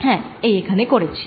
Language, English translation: Bengali, yes, i did that indeed here